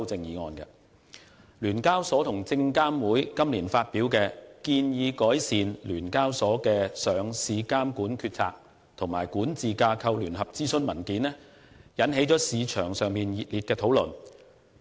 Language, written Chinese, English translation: Cantonese, 香港聯合交易所有限公司和證券及期貨事務監察委員會今年發表的"建議改善香港聯合交易所有限公司的上市監管決策及管治架構"聯合諮詢文件，引起市場熱烈討論。, The joint consultation paper entitled Proposed Enhancements to the Stock Exchange of Hong Kong Limiteds Decision - Making and Governance Structure for Listing Regulation issued by The Stock Exchange of Hong Kong Limited SEHK and the Securities and Futures Commission SFC this year has aroused heated discussion on the market